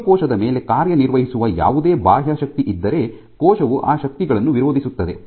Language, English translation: Kannada, So, in the case of any external force on the cell the cell can resist those forces